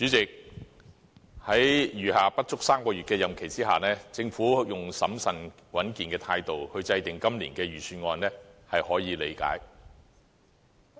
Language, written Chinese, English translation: Cantonese, 主席，在餘下不足3個月的任期之下，政府用審慎穩健的態度，制訂今年的財政預算案，是可以理解的。, President with its term of office ending in less than three months it is reasonable for the Government to formulate the Budget this year prudently